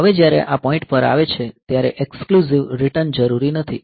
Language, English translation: Gujarati, Now when it comes to this point return exclusive return is not necessary